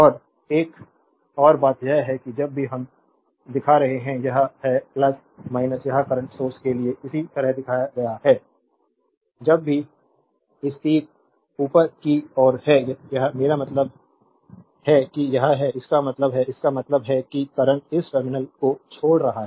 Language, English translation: Hindi, And another thing is that whenever we are showing this is plus minus it is shown right similarly for the current source whenever this arrow is upward this I mean it is; that means, that means current is leaving this terminal